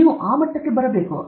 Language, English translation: Kannada, We should come to that level